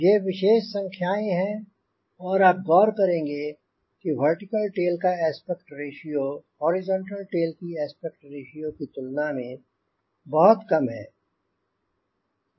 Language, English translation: Hindi, these are typical numbers and what is should notice that aspect ratio of vertical tail is is much less compared to the aspect ratio of the horizontal tail